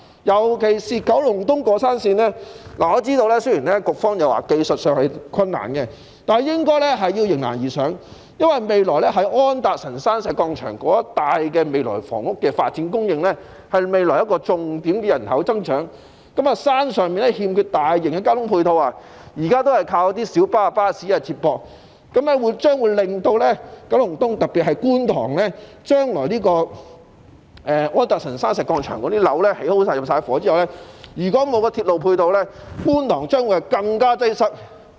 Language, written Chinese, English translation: Cantonese, 尤其是九龍東過山綫，我知道雖然局方表示技術上是困難的，但也應該迎難而上，因為未來在安達臣道石礦場一帶的房屋發展，將會是未來的人口增長重點，山上欠缺大型的交通配套，現時也只是依賴小巴和巴士接駁，日後將會對九龍東造成影響，特別是觀塘，在安達臣道石礦場的樓宇完工和入伙後，如果沒有鐵路配套，觀塘的交通將會更為擠塞。, Particularly for the mountain railway in Kowloon East I understand the concern expressed by the Bureau about the technical difficulties involved but the Government should rise to the challenges because the housing development in areas around the Anderson Road Quarry Site will be a key component of population growth in future . Mass transport support facilities are lacking on the mountain and as accessibility to the area currently relies only on the feeder services provided by minibuses and buses there will be an impact on Kowloon East in future especially Kwun Tong . After completion and population intake of the housing development at the Anderson Road Quarry Site the absence of railway support services will give rise to more serious traffic congestion in Kwun Tong